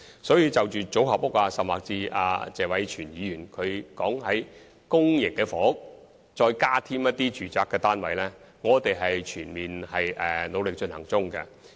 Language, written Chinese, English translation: Cantonese, 所以，就組合屋甚或謝偉銓議員提出在公營房屋額外加建住宅單位的建議，我們正努力考慮。, Hence we are giving active consideration to the idea of constructing modular housing or even the suggestion made by Mr Tony TSE to provide additional housing units in public housing blocks